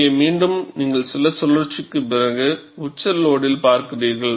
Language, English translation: Tamil, Here again, you look at, after few cycles, at the peak load